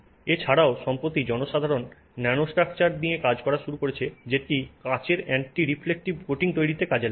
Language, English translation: Bengali, Also recently people have started doing nanostructured films for anti reflective coatings on glasses